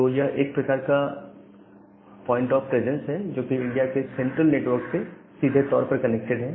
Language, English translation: Hindi, So, that is a kind of point of presence which is directly connected to the central network of India